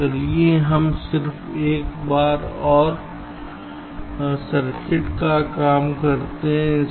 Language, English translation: Hindi, so lets ah just work out he circuit once more